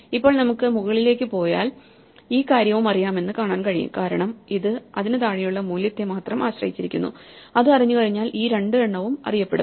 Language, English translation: Malayalam, Now we can go up and see that this thing is also known because, it also depends only on the value below it and once that is known then these 2 are known